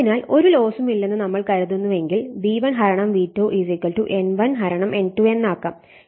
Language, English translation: Malayalam, So, assuming that no losses therefore, we can make V1 / N1 = V2 / N2